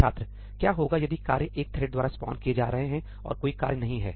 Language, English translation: Hindi, What if the tasks are being spawned by a thread and there is no task